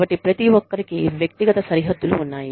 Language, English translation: Telugu, And, so everybody has personal boundaries